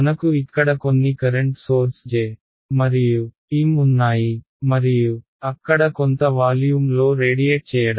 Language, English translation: Telugu, So, I have some current sources over here J and M and there radiating in some volume ok